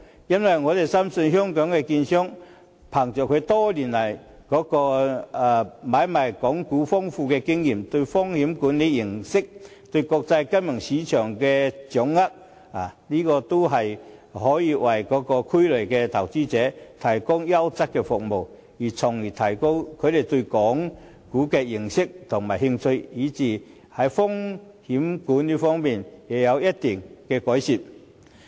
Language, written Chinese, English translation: Cantonese, 因為我們深信香港的券商憑着他們多年來買賣港股的豐富經驗，對風險管理認識，以及對國際金融市場的掌握等，均可以為灣區內的投資者提供優質的服務，從而提高他們對港股以至風險管理方面的認識和興趣。, Hong Kong dealers have rich experience in the trading of Hong Kong stocks sound knowledge in risk management and a good grasp of the global securities markets . I am thus convinced that they can provide quality services to investors in the Bay Area to improve their knowledge and develop their interest in Hong Kong stocks and risk management